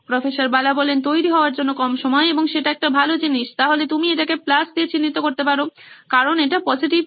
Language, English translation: Bengali, Less time for preparation and that’s a good thing, so you can mark it with a plus, because that is a positive